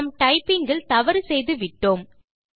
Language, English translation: Tamil, Thats because we have mistyped or made an error in typing